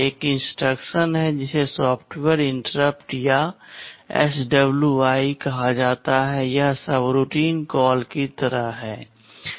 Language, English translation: Hindi, There is an instruction called software interrupt or SWI, this is like a subroutine call